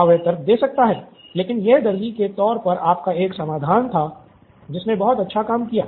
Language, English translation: Hindi, Yeah, he could argue but this was the tailor’s solution that worked very well